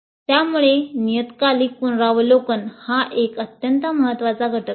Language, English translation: Marathi, Thus, the periodic review is an extremely important component